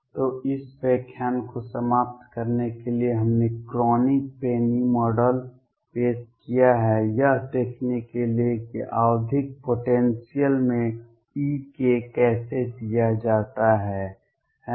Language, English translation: Hindi, So, to conclude this lecture we have introduced Kronig Penney Model to see how e k is given in a periodic potential, right